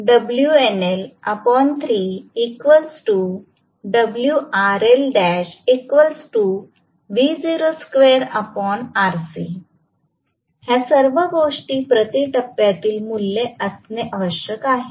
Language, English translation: Marathi, Please note, all these things have to be per phase values